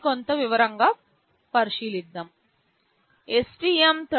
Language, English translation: Telugu, Let us look into a little more detail